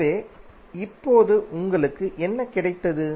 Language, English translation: Tamil, So what you have got now